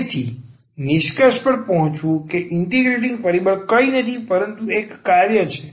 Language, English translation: Gujarati, So, coming to the conclusion the integrating factor is nothing, but a function here